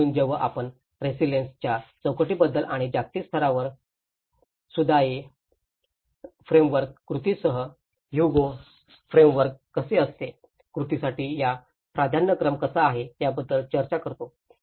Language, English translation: Marathi, So, when we talk about the resilience frameworks and that at a global level, how the Sundae framework, how the Hugo framework for action, what are these priorities for action